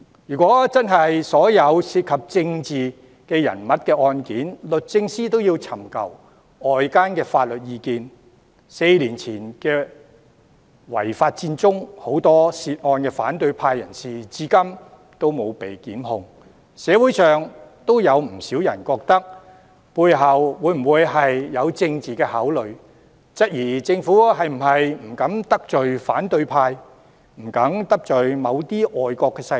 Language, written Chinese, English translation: Cantonese, 如果所有涉及政治人物的案件，律政司也要尋求外間法律意見，在4年前的違法佔中案，有很多涉案的反對派人士至今也沒有被檢控，社會上也有不少人懷疑背後是否有政治考慮，質疑政府是否不敢得罪反對派、不敢得罪某些外國勢力。, It is suggested that DoJ should seek outside legal advice on all cases involving political figures . To date many from the opposition camp who were involved in the illegal Occupy Central case four years ago have yet to be prosecuted . This has given rise to a lot of suspicions in the community questioning if there is political consideration behind the move and if the Government is so timid that it dare not offend the opposition and certain foreign powers